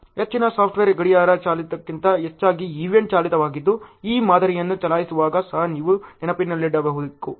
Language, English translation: Kannada, Most of the software are event driven rather than the clock driven which also you should keep in mind when you are running the models